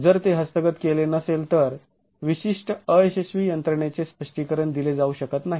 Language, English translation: Marathi, If that is not captured, the specific failure mechanism that is observed cannot be explained